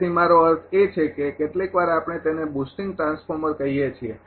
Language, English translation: Gujarati, So, I mean that is sometimes we call boosting transformer